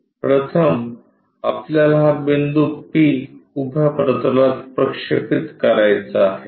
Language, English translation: Marathi, First, we have to project this point p to vertical plane